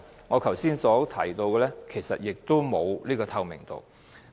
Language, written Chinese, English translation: Cantonese, 我剛才提到，在這方面並無透明度。, As I mentioned earlier the situation is not transparent at all